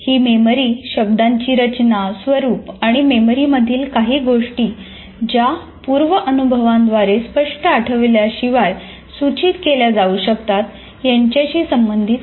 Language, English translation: Marathi, It refers to the structure and form of words and objects in memory that can be prompted by prior experience without explicit recall